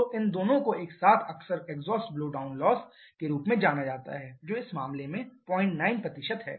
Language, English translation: Hindi, So, these 2 together are often referred as the exhaust blowdown loss which is 0